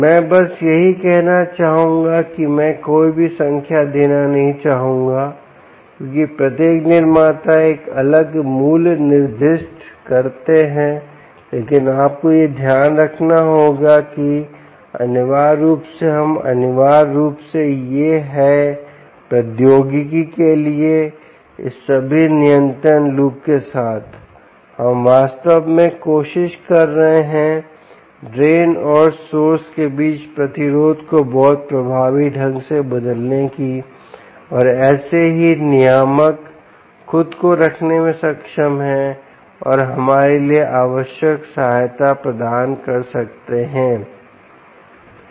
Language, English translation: Hindi, i would not like to give any numbers because each manufacturers specifies a different values, but you have to note that essentially, we are essentially trying to, with all this control loop for technology, we are actually trying to vary the resistance between the drain and the source very effectively and thats how the regulator is able to keep itself, ah is able to provide the required ah assistance for us all right now